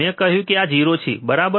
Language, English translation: Gujarati, I said this is 0, right